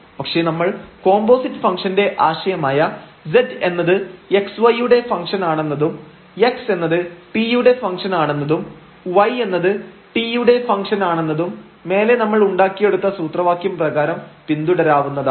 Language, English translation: Malayalam, But, we will follow the idea of the composite functions that z is a function of x y and x is a function of t and y is a function of t with the formula derived above